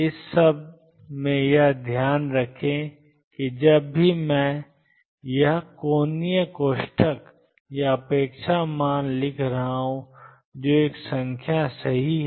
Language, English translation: Hindi, In all this keep in mind that whenever I am writing this angular bracket or the expectation value that is a number right